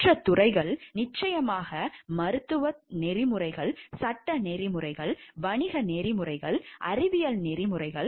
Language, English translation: Tamil, Other fields which are also ethics are important and critical are of course, medical ethics, legal ethics, business ethics scientific ethics